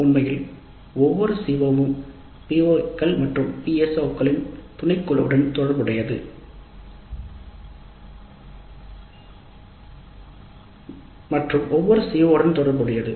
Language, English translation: Tamil, Obviously every COs addresses a subset of the POs and PSOs and every CO is related to thoseO